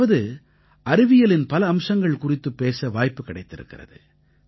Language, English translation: Tamil, I have often spoken about many aspects of science